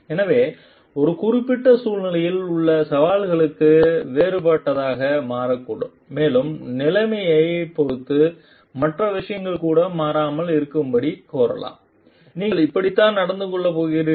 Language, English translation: Tamil, So, the challenges in a particular situation may also become different and may demand given the situation even other things remaining constant this is how you are going to behave